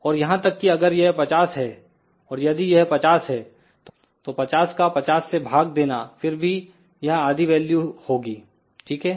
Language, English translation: Hindi, And even if it is 50, and if this is 50, 50 divided by 50 will be still half value here, ok